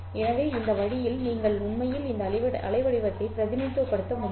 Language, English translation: Tamil, So by this way you are actually able to represent this waveform